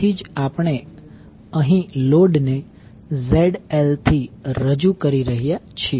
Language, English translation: Gujarati, So, that is why here we are representing load with ZL